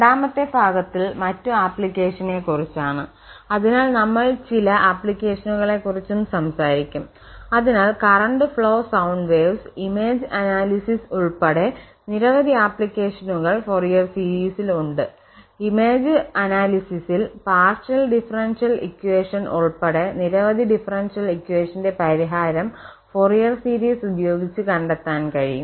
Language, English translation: Malayalam, So, and the second portion the other applications so we will be also talking about some applications so the Fourier series has several applications including this analysis of this current flow sound waves, in image analysis, and solution of many differential equations including partial differential equations etc